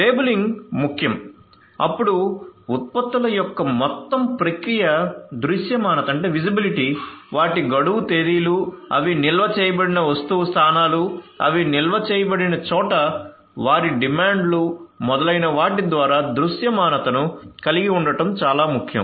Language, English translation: Telugu, So, labeling is important then we can have you know it is very important to have visibility through the entire process visibility of the products, they are expiration dates, the item locations where they are stored, where they are stocked forecasting their demands etcetera, so visibility